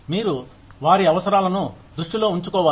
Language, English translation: Telugu, You need to keep, their needs in mind